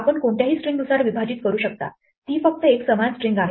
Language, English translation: Marathi, You can split according to any string it's just a uniform string